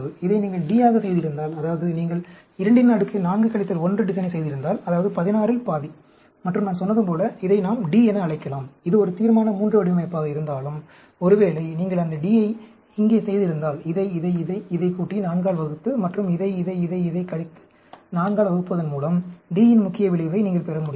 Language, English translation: Tamil, Suppose, if you had made this as a D, that means, if you had done a 2 power 4 minus 1 design, that is, half of 16, and like I said, we can call this as D, all, although it is a Resolution III design, suppose, if you have done that D here, then you can get the main effect for D, by adding this, this, this and this, dividing by 4, and subtracting this, this, this, this and divide by 4